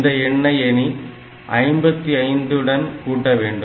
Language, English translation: Tamil, Now, if I add this with 55